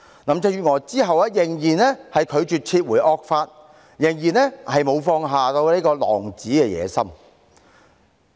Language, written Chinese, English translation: Cantonese, 林鄭月娥之後仍然拒絕撤回惡法，仍然沒有放下狼子野心。, Carrie LAM refused to withdraw the draconian law and give up her savage ambition